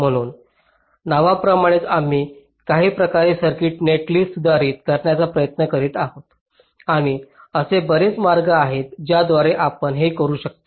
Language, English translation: Marathi, so, as the name implies, we are trying to modify ah circuit netlist in some way and there are many ways in which you can do that